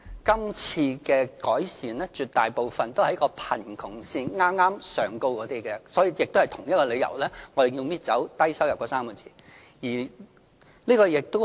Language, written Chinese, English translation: Cantonese, 今次的改善措施，絕大部分是針對剛剛在貧窮線上的家庭，所以，我們也是基於同一個理由而刪去"低收入 "3 個字。, Most of the improvement initiatives introduced this time around are targeted at households living just above the poverty line . It is also for the same reason that the words Low - income is deleted